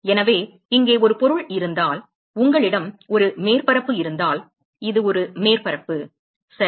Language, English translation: Tamil, So, supposing if there is an object here and you have a surface, this is a surface ok